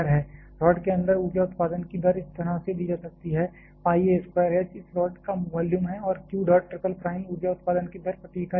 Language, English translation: Hindi, Rate of energy generation inside the rod can be given by like this by pi a square H is the volume of this rod and q dot triple prime is the rate of energy generation per unit volume